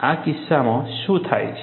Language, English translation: Gujarati, In this case, what happens